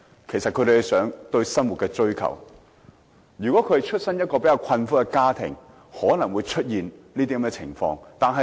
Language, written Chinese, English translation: Cantonese, 其實這是他們對生活的追求，如果他們生於較為困苦的家庭，便可能出現這種情況。, This is simply out of their life pursuit . They may probably do so if they are born to a poor family